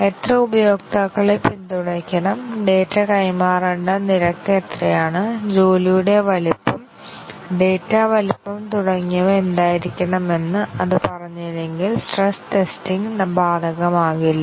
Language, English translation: Malayalam, If it does not tell about how many users, it should support, what is the rate at which the data should be transferred, what should be the job size, data size and so on, then stress testing would not be applicable